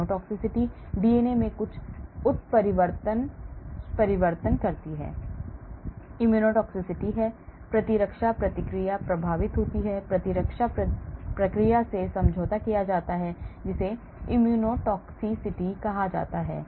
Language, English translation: Hindi, genotoxicity; there is some mutagenic change to the DNA, immuno toxicity; the immune response is affected , immune response is compromised that is called immunotoxicity